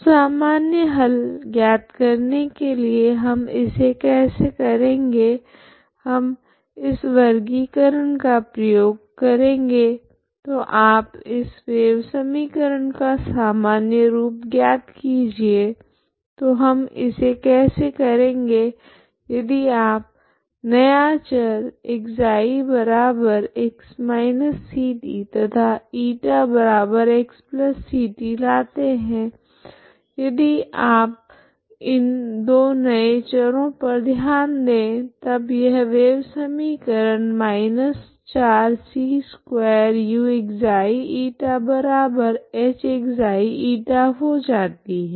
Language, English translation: Hindi, So like just find the general solution how it we do, we make use of this classifications so once you try to find the normal form for this wave equation so how do we do this if you bring the new variables ξ=x−ct and η=x+ct if you consider these two new variables then this wave equation becomes −4 c2uξ η=h(ξ ,η) So the wave equation becomes this, okay